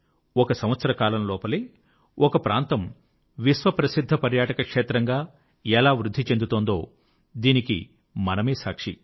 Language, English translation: Telugu, We are all witness to the fact that how within a year a place developed as a world famous tourism destination